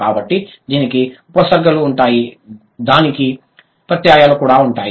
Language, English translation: Telugu, So, it will have prefixes, it will have suffixes also